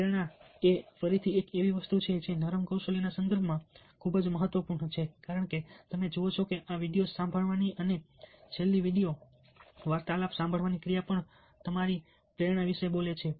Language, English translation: Gujarati, motivation, again, is something which is very, very important in the context of soft skills, because you see that the very act of your listening to these videos, and even listening to the last video talks speaks about your motivation